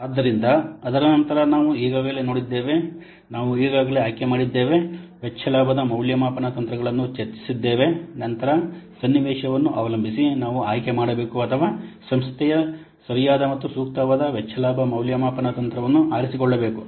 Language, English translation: Kannada, So after so we have already seen that we have already selected, we have discussed the cost benefit evaluation techniques then depending upon the scenario we should select or the organization should select a proper unappropriate cost benefit evaluation